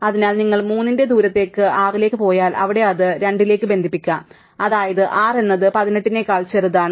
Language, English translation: Malayalam, So, if you go via to the distance of 3 to the tree is 6 and there it could be connected to 2 which is 6 is smaller than 18, right